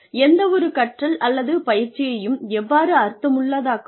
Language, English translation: Tamil, How do you make any type of learning or training meaningful